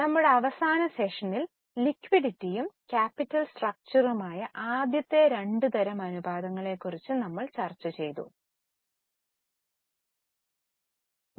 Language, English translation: Malayalam, Now, in our last session, we had started discussion on first two types of ratios, that is liquidity and capital structure